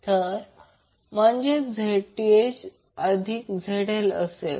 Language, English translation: Marathi, So, that is Zth plus ZL